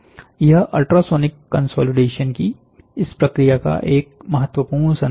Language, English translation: Hindi, So, this is a very important take over a message of this process of ultrasonic consolidation